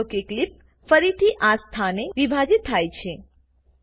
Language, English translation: Gujarati, Notice that the clip is again split at this position